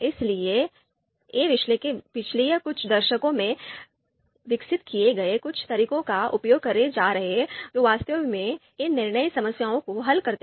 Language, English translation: Hindi, So these analysts are going to use use some of the methods which had been developed in past many decades to actually solve these decision problems